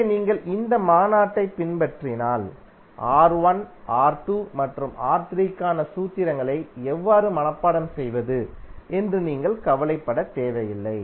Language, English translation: Tamil, So if you follow this convention, you need not to worry about how to memorize the formulas for R1, R2 and R3